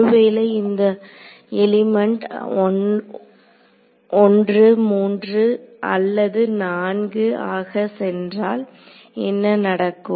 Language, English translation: Tamil, So, if this e goes to element 1 3 or 4 what will happened